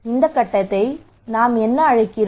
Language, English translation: Tamil, What we call this phase